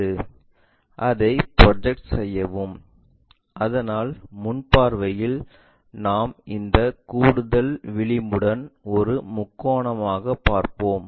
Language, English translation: Tamil, Project it, so that in the front view we will see it like a triangle along with this additional edge